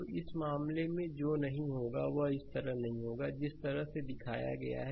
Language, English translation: Hindi, So, in this case, what will happen not going not going like this, the way it is shown